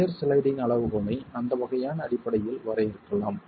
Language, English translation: Tamil, The shear sliding criterion can be defined with respect to that sort of a basis